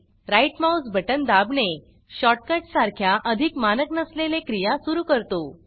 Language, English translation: Marathi, Pressing the right mouse button, activates more non standard actions like shortcuts